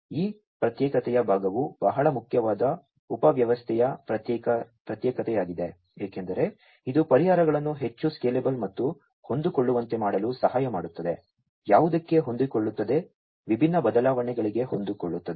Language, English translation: Kannada, So, this isolation part is very important subsystem isolation, because this will help in making the solutions much more scalable and adaptable, adaptable to what; adaptable to different changes